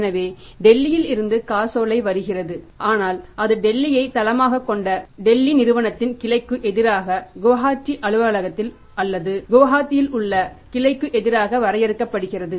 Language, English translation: Tamil, So, check is coming from the Delhi but that is drawn against the branch of the Delhi company based in Delhi, their branch in the Guantay office or in the Guatari